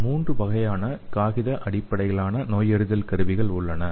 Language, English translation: Tamil, So there are 3 types of paper based diagnostics